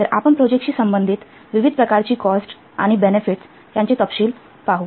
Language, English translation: Marathi, So we'll see the details of the different types of the cost and benefits associated with a project